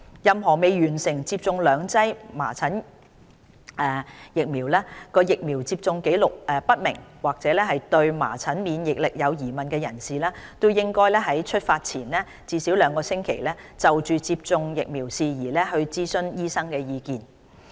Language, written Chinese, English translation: Cantonese, 任何未完成接種兩劑含麻疹的疫苗、疫苗接種紀錄不明或對麻疹免疫力有疑問的人士，應該於出發前至少兩星期，就接種疫苗事宜諮詢醫生意見。, Those who have not received two doses of measles - containing vaccines with unknown vaccination history or with unknown immunity against measles are urged to consult their doctor for advice on vaccination at least two weeks before departure